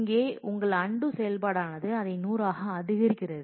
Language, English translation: Tamil, So, your undo operation here is incrementing by 100